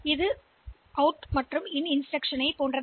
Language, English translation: Tamil, So, they are similar to this out and in instruction